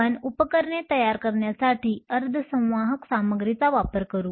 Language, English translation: Marathi, We will then use the semiconductor materials to form devices